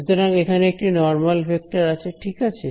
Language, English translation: Bengali, It is going to be a vector right